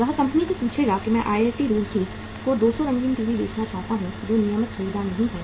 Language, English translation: Hindi, He will ask the company that I want to sell 200 colour TVs to IIT Roorkee which is not a regular buyer